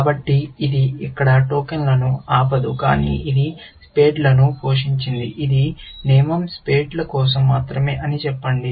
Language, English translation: Telugu, So, it will not stop tokens here, but supposing, this was played spades; let us say this rule was only for spades